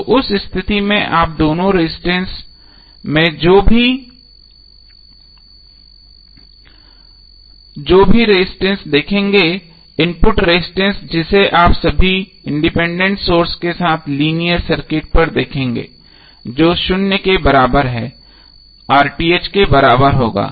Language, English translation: Hindi, So in that case whatever the resistance you will see in both of the cases the input resistance which you will see across the linear circuit with all independent sources are equal to zero would be equal to RTh